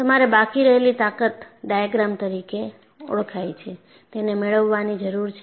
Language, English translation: Gujarati, So, you need to get what are known as residual strength diagrams